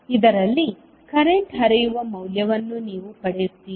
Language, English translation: Kannada, You will get the value of current flowing in this